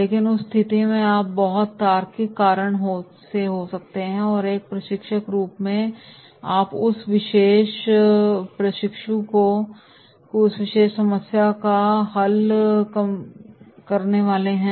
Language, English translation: Hindi, But in that case you may come across a very logical reason and as a trainer then you are supposed to solve that particular problem of that particular trainee